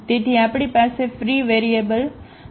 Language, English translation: Gujarati, So, we have the free variable we have the free variable